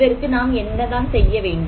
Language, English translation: Tamil, What do we need to do then